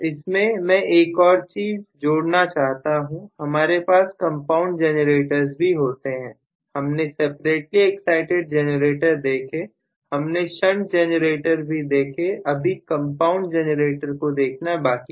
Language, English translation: Hindi, Just to add on to this point I should say there are compound generators, so we have looked at separately exited generator, we have looked at shunt generator, we are yet to look at compound generators